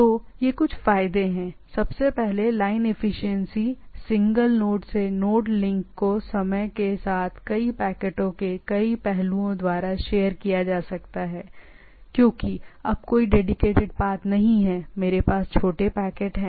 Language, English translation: Hindi, So, there are advantage, first of all line efficiency single node single node to node link can be shared by many aspects of the many packets over the time because now it is no dedicated path, I have small packets